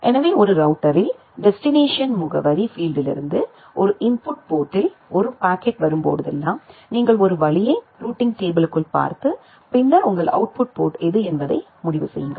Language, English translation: Tamil, So, that way in a router, whenever a packet comes in an input port from the destination address field, you make a route look up inside the routing table and then decide which is your output port